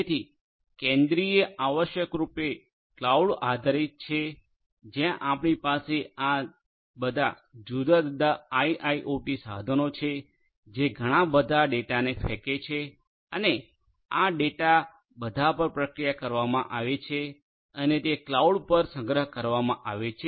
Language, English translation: Gujarati, So, centralized essentially is purely cloud based where you have all these different IIoT devices which will throw in lot of data and this data will all be processed and stored storage at the cloud right so, this is your centralized